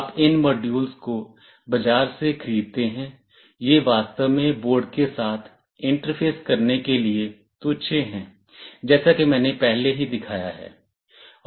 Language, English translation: Hindi, You buy these modules from the market, these are really trivial to interface with the boards as I have already shown